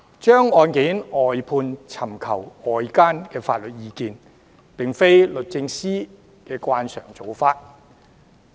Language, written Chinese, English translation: Cantonese, 將案件外判或尋求外間法律意見，並非律政司的慣常做法。, It is not a norm of DoJ to brief out cases or to seek outside legal advice